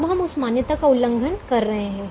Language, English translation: Hindi, now we are violating that assumption